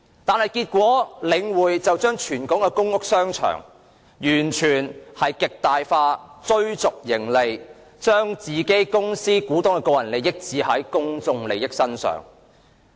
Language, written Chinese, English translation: Cantonese, 然而，結果是領匯透過全港公屋商場全面且極大化地追逐盈利，將公司股東的利益置於公眾利益之上。, Subsequently The Link REIT strove to maximize its profit in full swing putting the interests of company shareholders before public interests